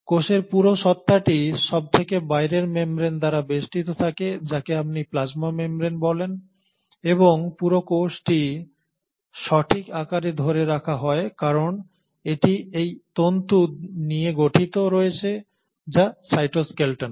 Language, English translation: Bengali, The whole entity of a cell is then surrounded by the outermost membrane which is what you call as the plasma membrane and the whole cell is held in shape because it consists of these fibre which are the cytoskeleton